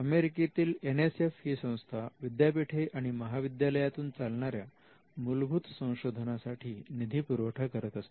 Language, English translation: Marathi, The NSF which is the national science foundation, supports basic research in universities and colleges